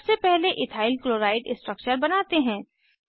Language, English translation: Hindi, Let us first draw structure of Ethyl chloride